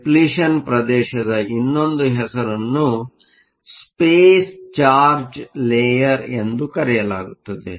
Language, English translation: Kannada, Another name for depletion region is called the Space charge layer